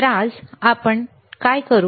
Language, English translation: Marathi, So, what we will do today